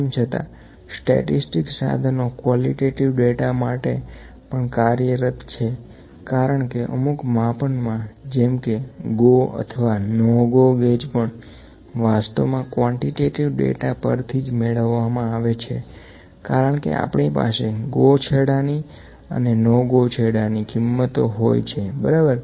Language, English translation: Gujarati, However, the statistical tools available for the qualitative data as well because in certain measurements like in GO/NO GO gauges GO/NO GO gauges are actually also derive from the quantitative data only because we have the value for the GO and the NO GO ends, ok